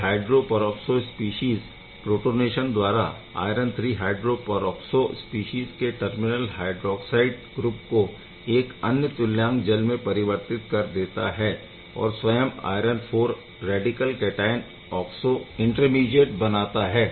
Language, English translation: Hindi, This hydro peroxide species upon protonation of this hydroxide you need terminal hydroxide you need gives another equivalent of water and it forms the iron IV radical cation oxo intermediate ok